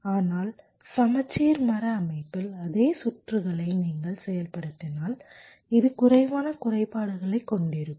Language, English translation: Tamil, but if you implement the same circuit as a balanced tree structure, this will be having fewer glitches